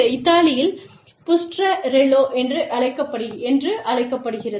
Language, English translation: Tamil, In Italy, Bustarella